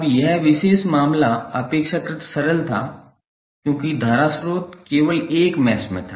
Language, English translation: Hindi, Now, that particular case was relatively simple because mesh the current source was in only one mesh